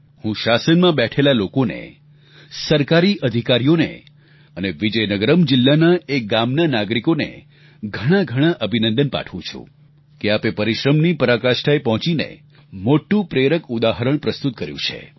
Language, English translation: Gujarati, I congratulate the people in the government, government officials and the citizens of Vizianagaram district on this great accomplishment of achieving this feat through immense hard work and setting a very inspiring example in the process